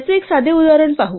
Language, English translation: Marathi, Let us look at a simple example of this